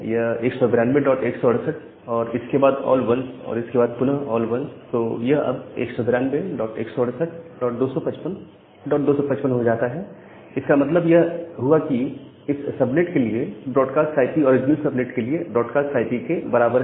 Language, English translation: Hindi, So, it is 192 dot 168 then all 1s and all 1s, so 192 168 dot 255 dot 255 that means, the broadcast IP for this subnet becomes equal to the broadcast IP of the original subnet, so that is the problem of all 1 subnet